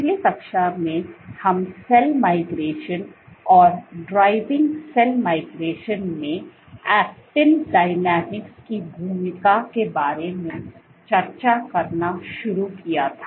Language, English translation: Hindi, So, in the last class we have been started to discussing about cell migration and the role of actin dynamics in driving cell migration